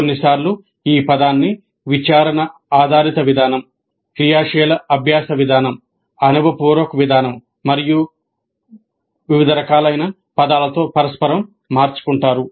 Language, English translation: Telugu, Sometimes the term is used interchangeably with terms like inquiry based approach, active learning approach, experiential approach and so on